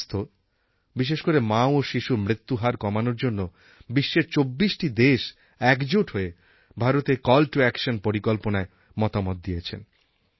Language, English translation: Bengali, 24 countries from across the globe discussed on the Indian soil a 'Call to Action' to reduce Maternal Mortality and Infant Mortality rates